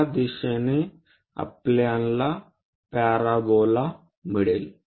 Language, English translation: Marathi, In this direction can give us this parabola